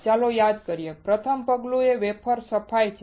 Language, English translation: Gujarati, Let’s recall; The first step is wafer cleaning